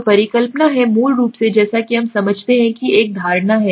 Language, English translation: Hindi, So hypothesis is basically as we understand is an assumption